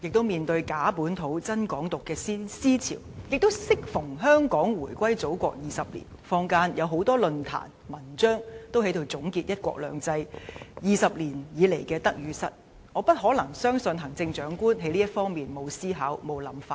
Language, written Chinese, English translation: Cantonese, 面對"假本土、真港獨"的思潮，亦適逢香港回歸祖國20年，坊間有很多論壇和文章總結"一國兩制 "20 年來的得與失，我相信行政長官不可能在這方面沒有思考和想法。, In the face of the ideology of fake localism and genuine Hong Kong independence and at a time that marks the 20 anniversary of Hong Kongs return to the Motherland many forums were held in the community and many articles were published on the success and failures of the implementation of one country two systems over the last 20 years I believe the Chief Executive must have her own thoughts in this area